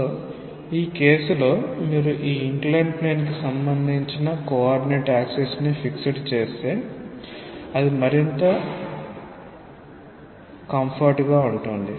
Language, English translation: Telugu, So, in this case it may be more convenient, if you fix up your coordinate axis relative to the inclined plane say x and y